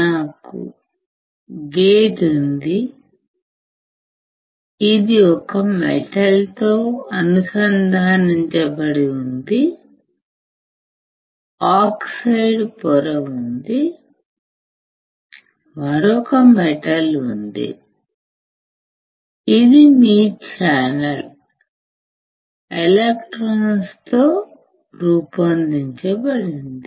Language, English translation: Telugu, It looks like I have a gate which is connect to a metal, then there is a oxide layer, and then there is a another metal; why because this constitutes your channel, made up of electrons